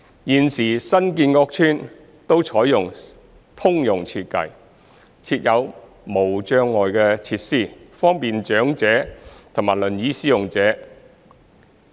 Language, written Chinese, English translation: Cantonese, 現時新建屋邨均採用通用設計，設有無障礙設施，方便長者及輪椅使用者。, At present all the newly built estates have adopted the universal design with barrier - free facilities to provide convenience to the elderly and wheelchair users